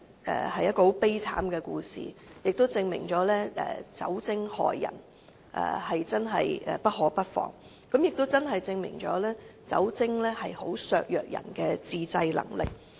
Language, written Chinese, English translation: Cantonese, 上述故事證明了酒精害人，真的不可不防，因為酒精會削弱人的自制能力。, The above story serves to prove that we really should beware of the possible harm caused by alcohol which will reduce peoples self - control ability